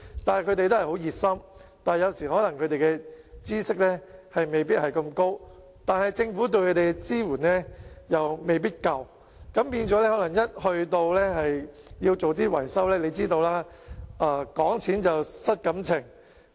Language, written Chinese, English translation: Cantonese, 他們十分熱心，但有關的知識可能不多，而政府對他們提供的支援亦未必足夠，導致在進行維修的時候便"講錢失感情"。, They were very enthusiastic but might not have much knowledge in this respect while the Governments support to them might not be adequate and as a result their relations turned sour when money was discussed in carrying out building repairs and maintenance works